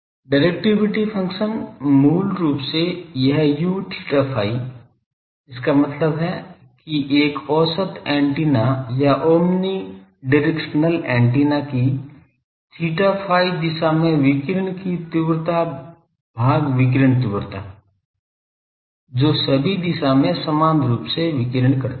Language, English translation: Hindi, Directivity function is basically , this U theta phi ; that means, radiation intensity in theta phi direction divided by radiation intensity of an average antenna or omni omni directional antenna which radiates equally in all direction